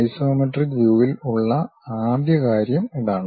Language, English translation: Malayalam, That is the first thing for isometric view